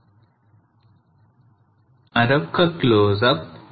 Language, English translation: Telugu, Another close up of that